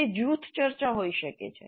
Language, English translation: Gujarati, It could be group discussion